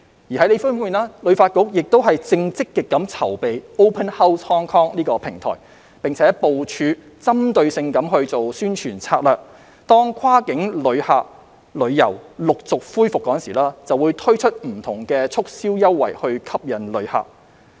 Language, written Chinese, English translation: Cantonese, 另一方面，旅發局亦正積極籌備 "Open House Hong Kong" 平台，並部署針對性的宣傳策略，當跨境旅遊陸續恢復時，推出不同促銷優惠吸引旅客。, On the other hand HKTB is also working on the Open House Hong Kong platform and will deploy targeted promotional strategies to introduce promotional offers to attract visitors when cross - border travel gradually resumes